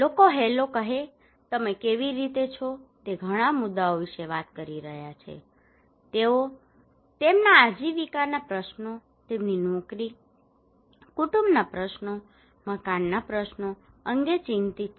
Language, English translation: Gujarati, People say hello, how are you they are talking about many issues, they are concerned about their livelihood issues, their job, family issues, housing issues